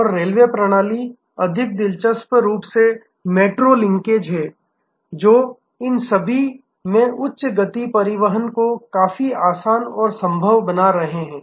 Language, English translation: Hindi, And the railway system are more interestingly this metro linkages, which are making high speed transport quite easy and a possible across these